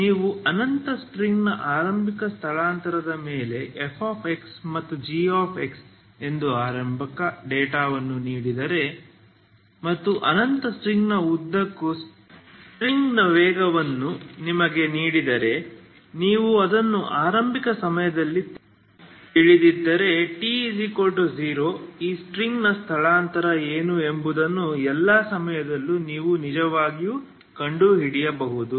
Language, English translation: Kannada, So you once you have given if you are given initial data that is F X and G X on an infinite string initial displacement and its velocity of the string all along the infinite string if you know it that at initial time that is the T equal to zero you can actually find for all times what is the displacement of this string